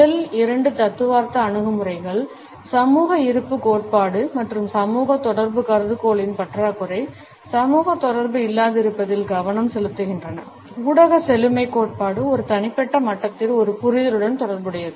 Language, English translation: Tamil, Whereas the first two theoretical approaches, the social presence theory and the lack of social contact hypothesis, focus on the absence of social interaction, the media richness theory is more related with a comprehension at an individual level